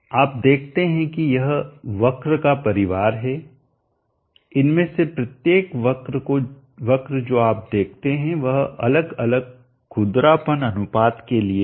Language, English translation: Hindi, You see this is the family of curves each of these curves that you see is for different roughness ratio